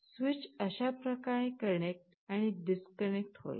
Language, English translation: Marathi, The switch will be connecting and disconnecting like that